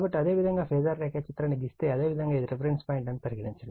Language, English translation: Telugu, So, if you draw the phasor diagram right, suppose this is your reference point